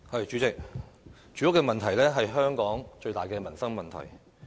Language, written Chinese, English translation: Cantonese, 主席，住屋問題是香港最大的民生問題。, President the housing problem is the biggest livelihood problem in Hong Kong